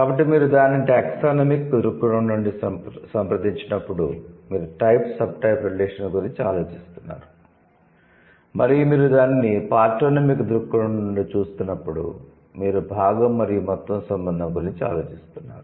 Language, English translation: Telugu, So, when you approach it from a taxonomic view, you are thinking about type sup type relation, and when you are approaching it from the part oomymic view you are thinking about the part in whole relation